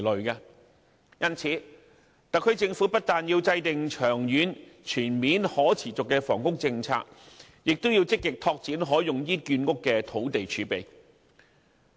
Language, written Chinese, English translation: Cantonese, 因此，特區政府不但要制訂長遠、全面、可持續的房屋政策，也要積極拓展可用於建屋的土地儲備。, Therefore the SAR Government not only has to formulate a long - term comprehensive and sustainable housing policy but also has to actively develop land reserves that can be used for housing construction